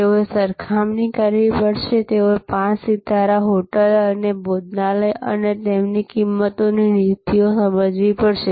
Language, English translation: Gujarati, They have to compare, they have to understand the five star hotel and the restaurants and their pricing policies